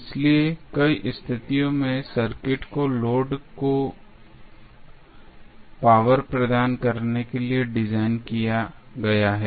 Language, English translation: Hindi, So, in many situation the circuit is designed to provide the power to the load